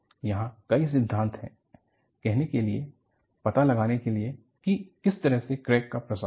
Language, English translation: Hindi, There are many theories to say, to find out, which way the crack will propagate